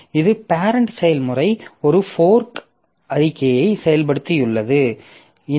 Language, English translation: Tamil, So, this is the parent process and this parent process has executed a fork statement